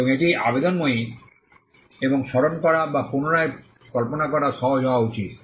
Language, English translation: Bengali, And it should be appealing and easy to remember or recollect